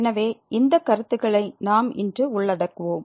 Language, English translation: Tamil, So, these are the concepts we will be covering today